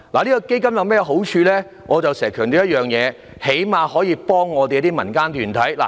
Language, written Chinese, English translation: Cantonese, 這個基金的好處是至少可以幫助我們的民間團體。, The fund at least has the advantage of offering help to our non - government organizations